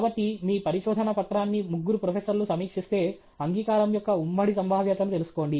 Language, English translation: Telugu, So if your paper is reviewed by three professors, find out the joint probability of acceptance